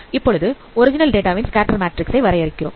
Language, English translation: Tamil, Let us define also scatter matrix of the original data